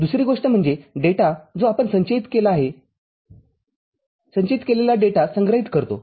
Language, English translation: Marathi, The other thing is the data that is storage the storage of data that you have stored